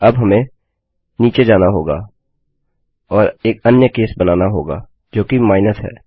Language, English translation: Hindi, Now we need to go down and create another case, which is minus